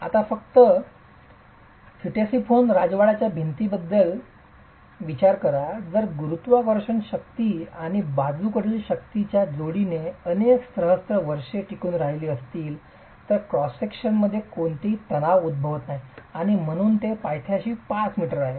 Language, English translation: Marathi, If it has to survive several millennia under a combination of gravity forces and lateral forces, there is no tension occurring in the cross section and that's why it's 5 meters at the base